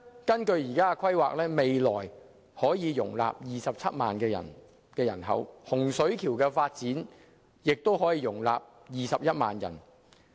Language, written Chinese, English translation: Cantonese, 根據現時的規劃，未來東涌將可以容納27萬人口，而洪水橋的發展項目亦可以容納21萬人口。, According to the present planning Tung Chung can accommodate 270 000 people in future and the Hung Shui Kiu New Development Area can also accommodate 210 000 people